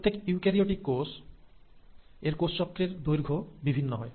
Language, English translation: Bengali, Now each eukaryotic cell will have obviously different lengths of cell cycle